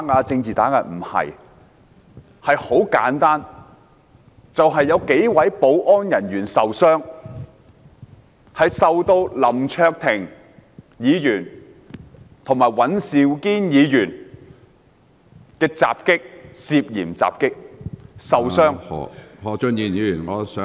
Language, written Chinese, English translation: Cantonese, 這項議案的起因很簡單，就是有幾位保安人員受到林卓廷議員和尹兆堅議員涉嫌襲擊而受傷......, The cause of this motion is very simple and that is several security staff members were allegedly assaulted and injured by Mr LAM Cheuk - ting and Mr Andrew WAN